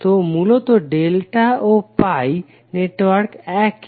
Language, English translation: Bengali, So essentially, delta and pi both are the same